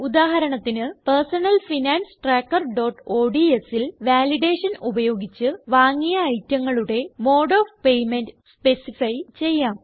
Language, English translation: Malayalam, For example, in Personal Finance Tracker.ods, we can specify the mode of payment for the items bought using Validation